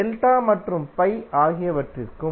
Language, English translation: Tamil, And for delta and pi also